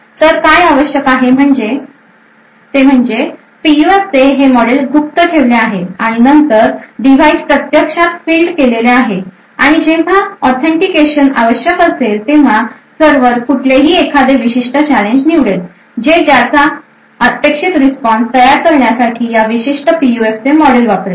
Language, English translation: Marathi, So what is required is that this model for the PUF is kept secret and then the device is actually fielded and when authentication is required, the server would randomly choose a particular challenge, it would use this model of this particular PUF to create what is the expected response for that particular challenge